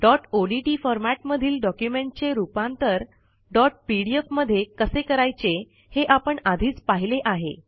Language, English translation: Marathi, We have already seen how to convert a dot odt document to a dot pdf file